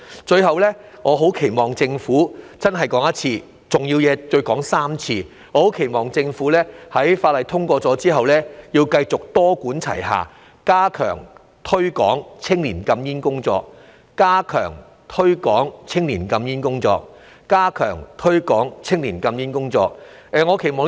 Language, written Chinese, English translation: Cantonese, 最後，我很期望政府，真的要再說一次，我期望政府在《條例草案》通過後繼續多管齊下，加強推廣青年禁煙工作，加強推廣青年禁煙工作，加強推廣青年禁煙工作——重要的事情要說3次。, Lastly I very much expect that―I truly have to say it again―I expect that the Government continues to make multi - pronged efforts after the passage of the Bill to step up the promotion of banning smoking among young people to step up the promotion of banning smoking among young people and to step up the promotion of banning smoking among young people―important things have to be stated thrice